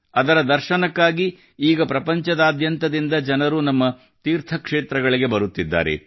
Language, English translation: Kannada, Now, for 'darshan', people from all over the world are coming to our pilgrimage sites